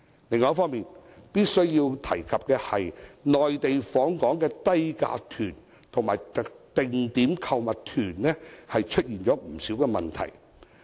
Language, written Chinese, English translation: Cantonese, 另一方面，我必須提及內地訪港的低價團和定點購物團出現不少問題。, On the other hand I must mention the problems caused by low - fare inbound Mainland tours and arranged shopping tours